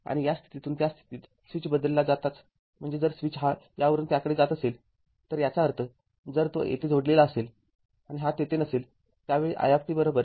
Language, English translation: Marathi, And as soon as switch moves from this position to that position I mean, if the switch is moving from this to that; that means, if it is connected here and it is not there, at that time i t is equal to i 0 right